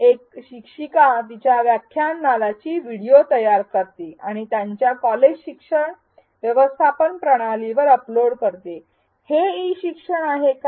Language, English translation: Marathi, An instructor creates a video of her lecture class and uploads it on to their college learning management system is this e learning